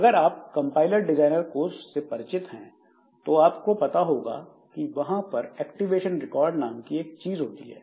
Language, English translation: Hindi, So, if you are familiar with compiler design courses, so you will know that there is something called activation record